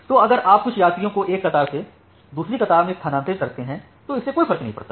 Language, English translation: Hindi, So, what if you do you transfer some passengers from one queue to another queue it does not matter much